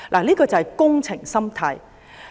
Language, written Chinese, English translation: Cantonese, 這就是"工程心態"。, This is a works mentality